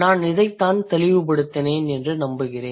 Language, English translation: Tamil, I hope I made it clear